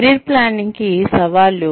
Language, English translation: Telugu, Challenges to Planning Careers